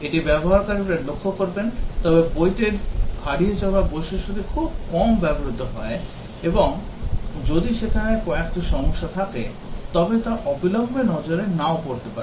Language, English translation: Bengali, This will be noticed by the users, but the book lost feature is used very rarely; and if there are few problems there that may not be noticed immediately